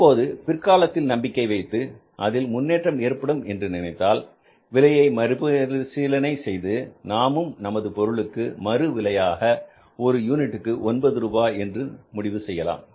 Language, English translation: Tamil, In that case, if you feel that there is a scope for the future improvements, you start redoing the pricing system and you can also reprise your product at 9 rupees per unit